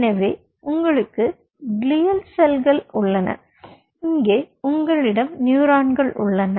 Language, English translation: Tamil, so here you have the glial cells, here you have the neurons